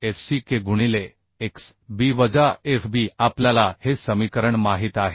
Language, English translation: Marathi, 45 fck into x into B minus Fb right 0